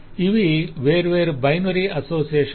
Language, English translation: Telugu, so these are different binary associations